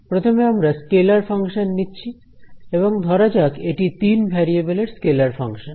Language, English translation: Bengali, Scalar function and let us say it is of three variables